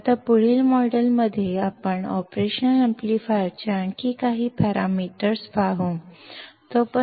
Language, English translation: Kannada, Now, in the next module we will see few more parameters of the operational amplifier